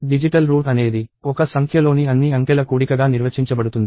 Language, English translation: Telugu, So, the digital route is defined as sum of all the digits in a number